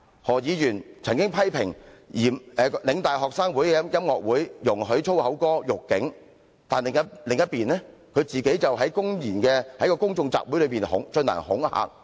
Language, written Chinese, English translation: Cantonese, 何議員曾經批評香港嶺南大學學生會的音樂會容許以粗言歌辱警，但那邊廂，他自己卻公然在公眾集會上進行恐嚇。, Dr HO once criticised the Lingnan University Students Union for organizing a concert during which a performing unit insulted the Police with lyrics containing foul language but on the other hand he himself brazenly intimidated others in a public assembly